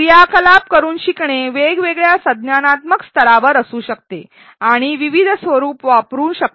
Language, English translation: Marathi, Learning by doing activities can be at different cognitive levels and can use a variety of formats